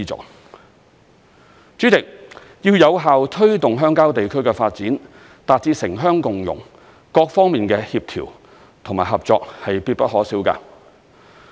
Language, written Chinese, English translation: Cantonese, 代理主席，要有效推動鄉郊地區的發展，達致城鄉共融，各方面的協調和合作是必不可少的。, Deputy President in order to effectively promote the development of rural areas and achieve inclusiveness for urban and rural development coordination and cooperation involving various sides are indispensable